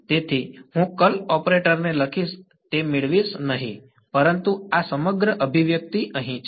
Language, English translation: Gujarati, So, I am not going to write down that curl operator and derive it, but this is the whole expression over here